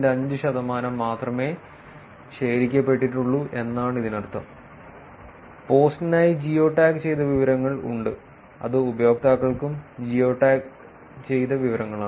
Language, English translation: Malayalam, 5 percent of the total posts that were collected where there is geo tagged information for the post which is geo tagged information for the users also